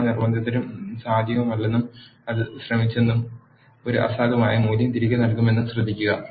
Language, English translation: Malayalam, Note that all the coercions are not possible and it attempted will be returning a null value